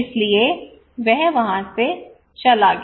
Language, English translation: Hindi, So he left